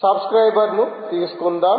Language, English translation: Telugu, let us have a subscriber, right